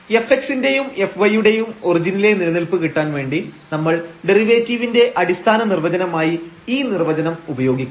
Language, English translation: Malayalam, So, to get the existence of f x and f y at origin we use this definition, fundamental definition of the derivative